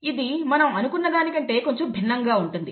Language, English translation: Telugu, This is slightly different from what we expect